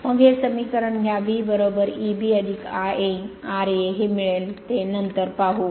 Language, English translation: Marathi, Then we have this equation, V is equal to E b plus I a, r a we will see this, we will see this later, we will see this later right